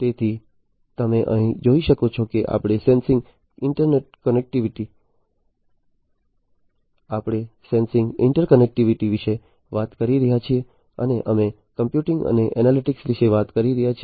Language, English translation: Gujarati, So, as you can see over here we are talking about sensing we are talking about interconnectivity, and we are talking about computing and analytics